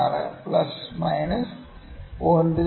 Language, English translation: Malayalam, 16 plus minus 0